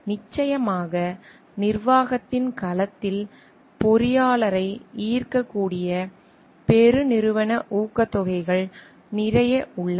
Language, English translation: Tamil, And of course, there are lot of corporate incentives which may attract the engineer into the domain of management